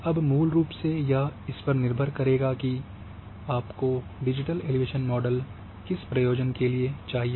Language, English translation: Hindi, Now basically depend for what purpose you want to have a digital elevation model